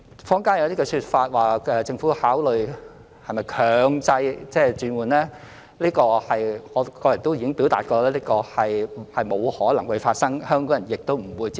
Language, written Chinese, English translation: Cantonese, 坊間有些說法指政府考慮強制轉換，此情況我個人亦已表達是不可能發生的，香港人亦不會接受。, Rumours have it in the community that the Government is considering mandatory conversion but I have personally indicated that this will never be possible nor be acceptable to Hong Kong people